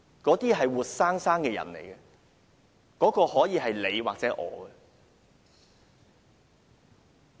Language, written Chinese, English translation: Cantonese, 那些是活生生的人，可以是你或我。, Those vivid living souls can be you and me